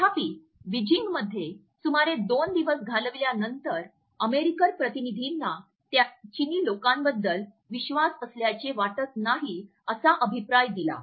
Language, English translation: Marathi, However, after about two days of a spending in Beijing, American delegation give the feedback that they do not find the Chinese to be trust for the people